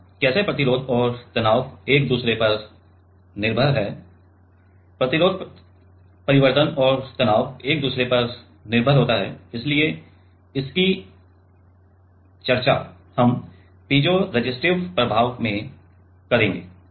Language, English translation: Hindi, Now, how the resistance and the stress is dependent, resistance change and the stress is dependent so, that we will discuss in the piezoresistive effect